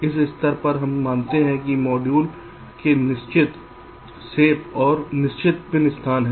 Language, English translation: Hindi, at this stage we assume that the modules has fixed shapes and fixed pin locations